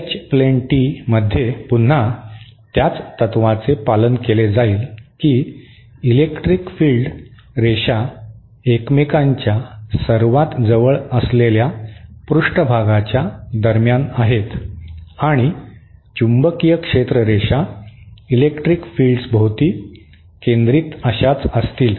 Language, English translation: Marathi, In H plane tee again, the same principle will be followed that the electric field lines are between the surfaces which are closest to each other and the magnetic field lines will be like this, concentric to the electric fields